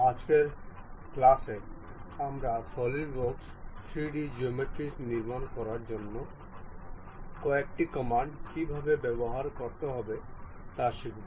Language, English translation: Bengali, In today's class, we will learn how to use some of the Solidworks command to construct 3D geometries